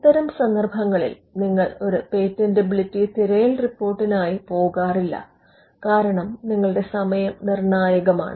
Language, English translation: Malayalam, In all these cases you would not go in for a patentability search report, because timing could be critical